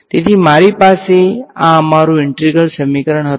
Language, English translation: Gujarati, So, what you have seen now is your very first integral equation